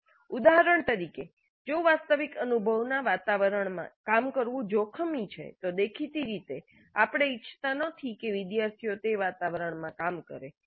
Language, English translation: Gujarati, For example if the actual experience involves working in an environment which is hazardous, obviously we do not want the students to work in that environment so we can use simulation models